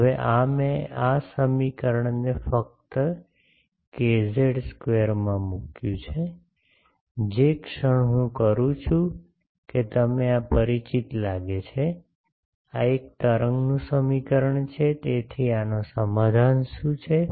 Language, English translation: Gujarati, Now, this I have put in this equation just k z square, the moment I do that you see this looks familiar, this is an wave equation so what is the solution of this